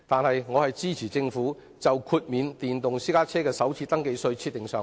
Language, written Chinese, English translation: Cantonese, 然而，我仍支持政府為豁免電動私家車首次登記稅設立上限。, However I am still in support of the Governments decision to impose a cap on the exemption of FRT for electric private cars